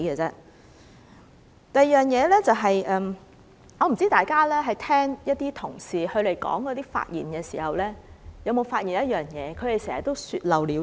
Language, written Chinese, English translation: Cantonese, 第二方面，我不知大家聽議員發言時，有沒有留意他們常會說漏了嘴。, Moreover I wonder if people notice that some Members often make Freudian slips in their speeches